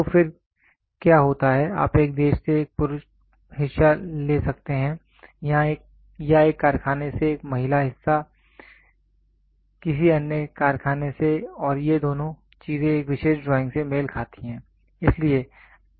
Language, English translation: Hindi, So, then what happens is you can take a male part from one country or from one factory a female part from some other factory and both these things match to a particular drawing